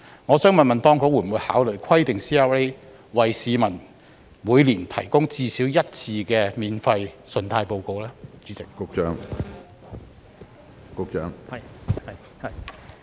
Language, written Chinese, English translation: Cantonese, 我想問，當局會否考慮規定 CRA 每年至少為市民免費提供信貸報告一次？, My question is Will the authorities consider requiring CRAs to provide each member of the public with at least one free credit report every year?